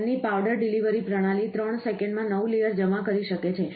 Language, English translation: Gujarati, Their powder delivery system can deposit a new layer in 3 seconds